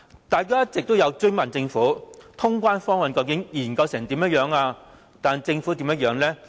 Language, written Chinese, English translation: Cantonese, 大家一直追問政府，通關方案的研究情況，但政府是怎樣的呢？, Members kept asking the Government for the progress of its studies . But how did the Government respond?